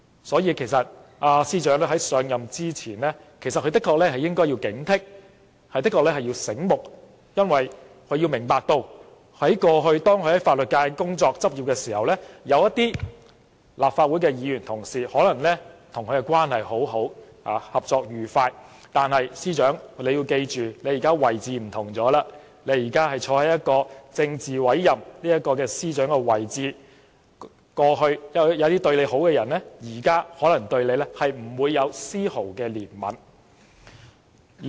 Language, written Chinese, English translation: Cantonese, 所以，其實司長在上任前的確應有所警惕，要聰明些，因為她應明白到，過去她在法律界工作、執業時，有些立法會的議員同事可能與其關係良好，合作愉快，但她現在位置不同了，她現在身處政治委任的司長位置，過去有些對她好的人，現在可能對她不會有絲毫憐憫。, Hence the Secretary for Justice should have been alert to this issue before assumption of office . She should understand that when she was in private practice in the legal sector certain Legislative Council Members might have very good working relationship with her but now her position has changed . Given that she is now a politically appointed Secretary of Department those who were once on good or friendly terms with her might now show no leniency to her